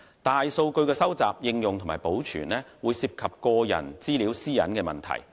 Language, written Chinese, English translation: Cantonese, 大數據的收集、應用和保存，會涉及個人資料私隱的問題。, The collection application and maintenance of big data involve personal privacy data